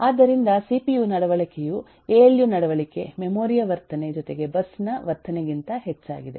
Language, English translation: Kannada, so behavior of the cpu is more than the behavior of the alu plus the behavior of the memory plus the behavior of the bus and so on